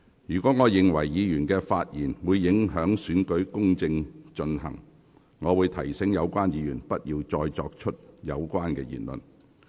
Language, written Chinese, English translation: Cantonese, 如我認為議員的發言會影響行政長官選舉公正進行，我會提醒有關議員不要作有關言論。, If I consider that the speech of any Member will have an impact on the fair conduct of the Chief Executive Election I will remind the Member not to make such comments